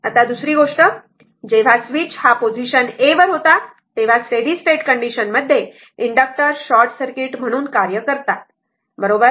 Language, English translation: Marathi, Now, second thing, when switch was in position a under steady state condition inductors act as a short circuit right